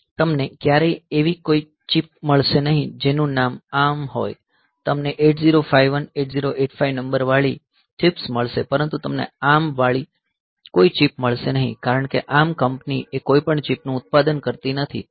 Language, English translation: Gujarati, So, you will never find any chip whose name is ARM, you will find chips like say 8051, 8085 numbered like that, but you will not find any chip which is named as ARM, because this ARM company, they do not manufacture any chip